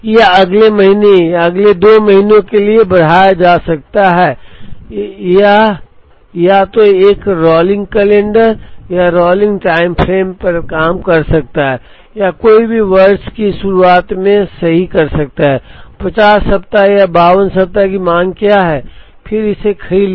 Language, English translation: Hindi, This can be extended for the next month or next 2 months, it can either work on a rolling calendar or rolling time frame or one can do right at the beginning of the year, what is the demand for the 50 weeks or 52 weeks and then bought it out